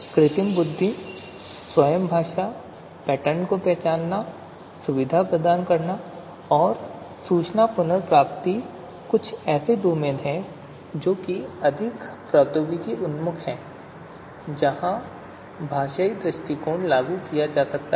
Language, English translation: Hindi, The artificial intelligence, linguistic itself, pattern recognition, you know medical diagnosis, information retrieval so these are some of the, these are these are some of the domains which are more technology oriented where the linguistic approach can be applied